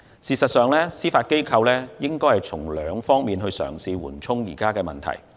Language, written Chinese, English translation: Cantonese, 事實上，司法機構可以循兩方面嘗試緩衝現有問題。, In fact the Judiciary can alleviate the existing problems in two ways